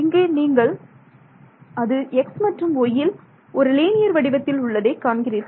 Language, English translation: Tamil, So, you can see that they are linear in x and y right